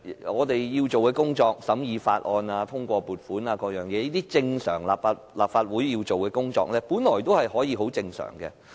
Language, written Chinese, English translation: Cantonese, 我們要做的工作，如審議法案、通過撥款等事項，這些立法會常規要做的工作，本來可以很正常地進行。, Our work such as scrutiny of bills and approval of funding―routine functions of the Legislative Council―could have been conducted normally